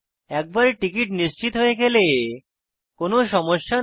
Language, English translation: Bengali, If the ticket is already confirmed their are no difficulties